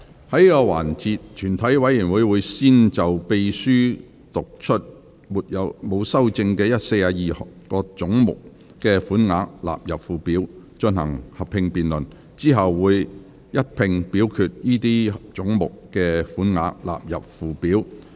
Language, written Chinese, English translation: Cantonese, 在這個環節，全體委員會會先就秘書剛讀出沒有修正案的42個總目的款額納入附表，進行合併辯論。之後會一併表決該些總目的款額納入附表。, In this session the committee will first proceed to a joint debate on the sums for the 42 heads with no amendment read out by the Clerk just now standing part of the Schedule and then vote on the sums for those heads standing part of the Schedule